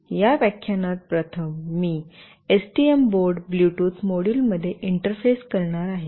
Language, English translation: Marathi, In this lecture, firstly I will be interfacing with the STM board a Bluetooth module